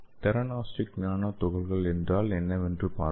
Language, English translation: Tamil, So let us see what is theranostic nano particles okay